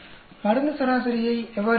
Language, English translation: Tamil, How do we get the drug average